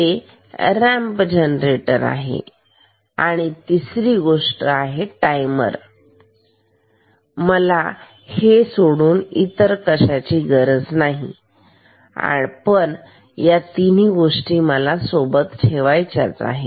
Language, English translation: Marathi, This is a ramp generator and third thing timer I do not have to say the thing